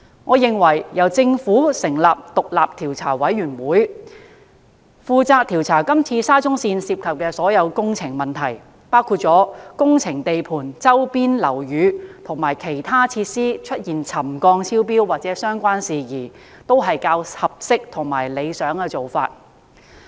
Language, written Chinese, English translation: Cantonese, 我認為由政府成立獨立調查委員會，負責調查是次沙中線涉及的所有工程問題，包括工程地盤周邊樓宇及其他設施出現沉降超標或相關事宜，是較合適和理想的做法。, In my view an independent commission of inquiry set up by the Government will be the more appropriate body to conduct an investigation into the problems of the works of the SCL Project including the settlement exceedance of buildings and other facilities adjacent to the construction sites or the related issues